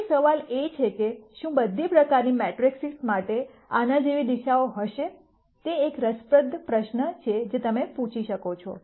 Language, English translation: Gujarati, So, the question is, would there be directions like this for all kinds of matrices is an interesting question, that you could ask for